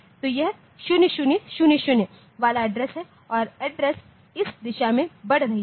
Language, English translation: Hindi, So, this is the address with 0 0 0 0 and the address increases in this direction fine